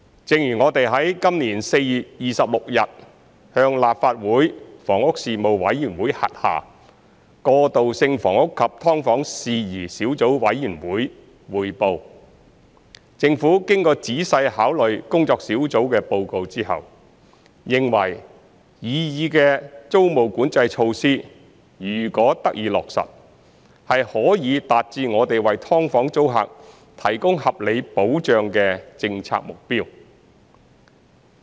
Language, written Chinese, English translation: Cantonese, 正如我們於今年4月26日向立法會房屋事務委員會轄下過渡性房屋及劏房事宜小組委員會匯報，政府經過仔細考慮工作小組的報告之後，認為擬議的租務管制措施如果得以落實，是可以達致我們為"劏房"租客提供合理保障的政策目標。, As we reported to the Subcommittee on Issues Relating to Transitional Housing and Subdivided Units under the Panel on Housing of the Legislative Council on 26 April this year the Government after careful consideration of the report of the Task Force considered that the proposed rent control measures if implemented could achieve the policy objective of providing reasonable protection to tenants of subdivided units